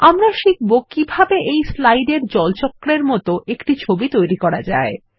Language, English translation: Bengali, We will learn how to create a picture of the water cycle as shown in this slide